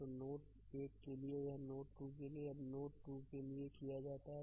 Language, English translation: Hindi, So, for node 1 this is done right now for node 2 ah for node 2